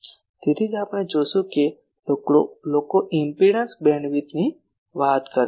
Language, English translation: Gujarati, That is why we will see that people talk of impedance bandwidth